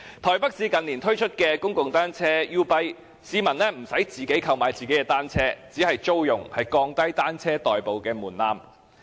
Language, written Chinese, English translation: Cantonese, 台北市近年推出公共單車租賃計劃 "YouBike"， 市民不用自行購買單車，只是租用，降低以單車代步的門檻。, Taipei City has introduced the public bicycle rental scheme YouBike in recent years . Locals do not need to purchase their own bicycles but can rent them so as to lower the threshold of commuting by bicycles